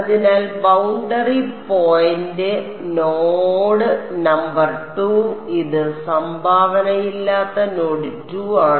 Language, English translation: Malayalam, So, boundary point node number 2 this is node 2 that has no contribution